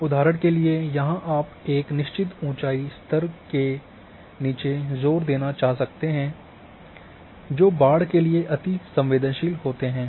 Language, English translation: Hindi, For example, here that one may want to emphasize areas below a certain elevation level that are susceptible to flooding